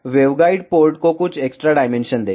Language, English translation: Hindi, And give some extra dimension to waveguide port